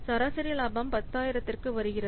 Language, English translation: Tamil, So, average profit coming to be 10,000